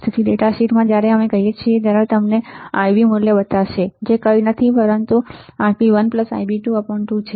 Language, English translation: Gujarati, So, the data sheet when we say it will show you the Ib value, which is nothing, but Ib1 plus Ib2 by 2 right